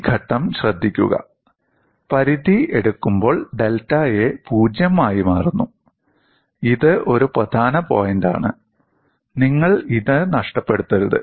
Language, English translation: Malayalam, And note this step and taking the limit, delta A tends to 0; this is the key point; we should not miss this